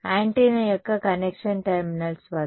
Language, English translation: Telugu, At the connection terminals of antenna